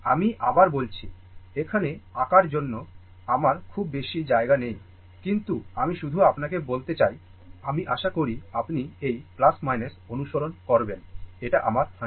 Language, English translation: Bengali, I repeat again; I mean, I do not have much space here for drawing it; but, just let me tell you, making at on it hope, you will hope you will follow this this is plus minus; this is my 100 volt, right